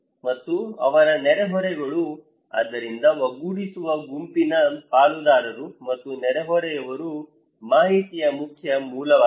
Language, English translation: Kannada, And also their neighbourhoods, so cohesive group partners and neighbours are the main source of informations